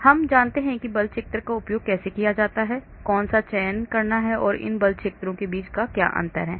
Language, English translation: Hindi, So we know how to use the force field which one to select and what is the difference between these force fields